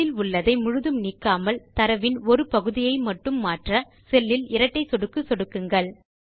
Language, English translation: Tamil, In order to change a part of the data in a cell, without removing all of the contents, just double click on the cell